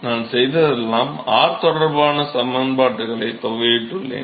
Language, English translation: Tamil, So, all I have done is, I have integrated the expressions with respect to r